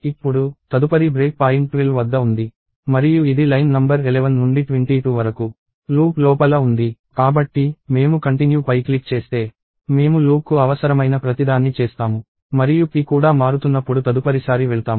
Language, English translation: Telugu, So, now, since the next break point is 12 and it is inside the loop from line number 11 to 22; if I click on continue, we will do everything that is required for the loop and go to the next time when the p itself is changing